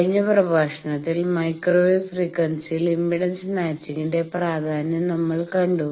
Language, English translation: Malayalam, In the last lecture, we have seen the importance of impedance matching at microwave frequency